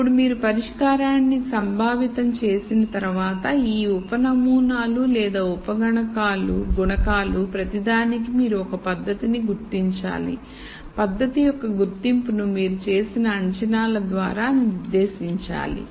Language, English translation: Telugu, Then once you conceptualize the solution, then for each of these sub models or sub modules you have to identify a method and the identification of the method should be dictated by the assumptions that you have made